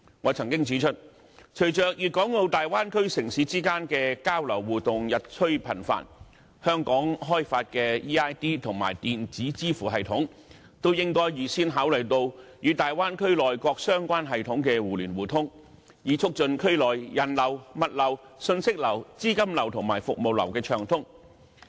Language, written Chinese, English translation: Cantonese, 我曾經指出，隨着粵港澳大灣區城市之間的交流互動日趨頻繁，香港開發的 eID 及電子支付系統均應該預先考慮與大灣區內各相關系統的互聯互通，以促進區內人流、物流、訊息流、資金流及服務流的暢通流動。, I have pointed out that with the increasingly frequent exchanges among cities in the Guangdong - Hong Kong - Macao Bay Area the eID and electronic payment systems developed by Hong Kong should take into account mutual access to the relevant systems in the Bay Area beforehand with a view to promoting the flow of people goods information capital and services in the area